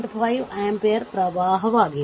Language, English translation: Kannada, 5 ampere current